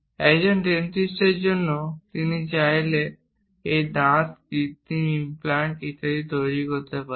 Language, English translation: Bengali, For a dentist, if he wants to make these teeth, artificial implants and so on